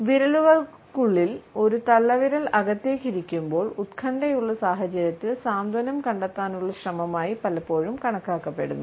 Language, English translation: Malayalam, When a thumb has been tucked inside the fingers, it is often considered a way to find certain comfort in an otherwise anxious situation